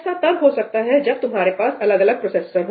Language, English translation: Hindi, that may even happen when you have separate processors